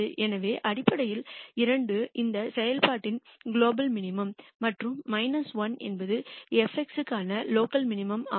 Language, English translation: Tamil, So, that basically means 2 is a global minimum of this function and minus 1 is a local minimizer for f of x